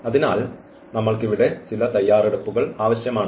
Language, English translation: Malayalam, So, for that we just need some preparations here